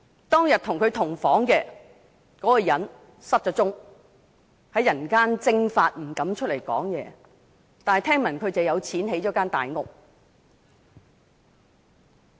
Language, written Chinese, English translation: Cantonese, 當天和他同房的人失了蹤，在人間蒸發，不敢出來說話，但聽聞這人有錢建了大屋。, The man who stayed in the same room with LI Wangyang suddenly went missing and dared not come forward to say a word . However rumour has it that he had acquired money to build a big house